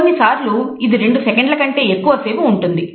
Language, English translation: Telugu, Sometimes lasting more than even a couple seconds